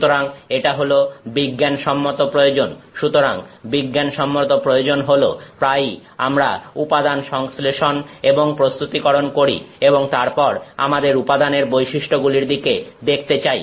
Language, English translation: Bengali, So, this is the scientific need; so, the scientific need is that we often we want to do material synthesis and processing and then we want to look at the properties of the material